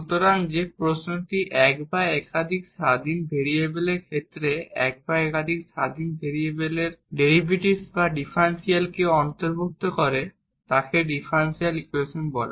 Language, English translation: Bengali, So an question which involves the derivates or the differentials of one or more independent variables with respect to one or more independent variables is called differential equation